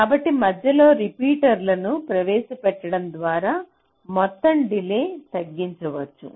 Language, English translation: Telugu, ok, so by introducing repeaters in between, the total delay can be reduced